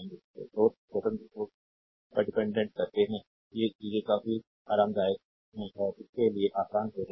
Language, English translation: Hindi, So, dependant source independent source so, these are the things ah quite comfortable and will be easier for you, right